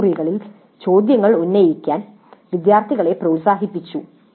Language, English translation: Malayalam, The instructor encouraged the students to raise questions in the classroom